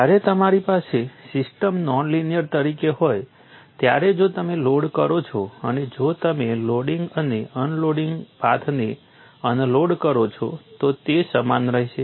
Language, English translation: Gujarati, When you are having the system as non linear, if you load and if you unload, the loading and unloading path would remain same